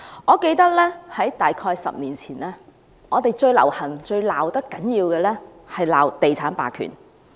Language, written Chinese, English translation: Cantonese, 我記得大約在10年前，最流行、罵得最多的是地產霸權。, I can recall that about a decade ago real estate hegemony was the most frequently criticized target